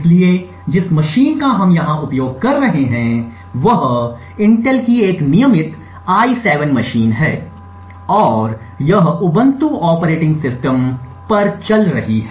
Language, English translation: Hindi, So, the machine that we are using over here is a regular i7 machine from Intel and it is running an Ubuntu operating system